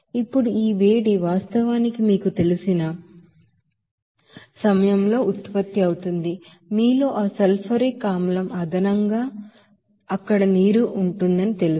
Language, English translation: Telugu, Now this much heat is actually produced during that you know, addition of that sulfuric acid in you know water there